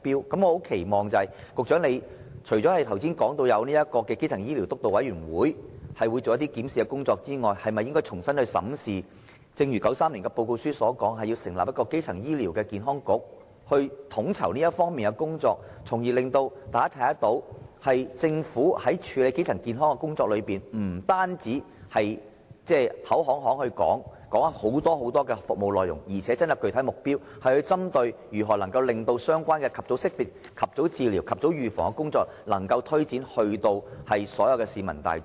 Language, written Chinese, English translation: Cantonese, 所以，我很期望局長——除了剛才提到，會由基層醫療督導委員會進行檢視工作外——能重新審視1993年的報告書所提出的建議，成立一個基層醫療健康局，統籌這方面的工作，從而讓大家看到，政府在處理基層健康的工作方面，不單是口惠，說出許許多多的服務，還真的訂下了具體目標，針對如何能將相關的及早識別、及早治療、及早預防的工作，推展到所有市民大眾。, Thus I very much hope that while the Steering Committee on Primary Healthcare Development is to conduct a review as mentioned just now the Secretary herself will also re - examine the recommendations put forward in the report of 1993 and set up a primary health care council as a coordinator of the related efforts . In this way the Government can show everyone that regarding primary health care it is not all talk and will not just reel out a litany of services . People will instead see that it has actually formulated specific objectives on promoting early identification early treatment and early prevention among all members of the public